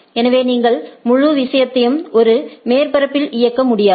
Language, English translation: Tamil, So, you cannot you may not run the whole thing at a surfaces right